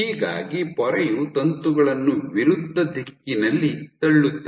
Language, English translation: Kannada, So, membrane pushes the filament in opposite direction